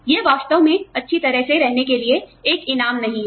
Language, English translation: Hindi, It is not really a reward for staying well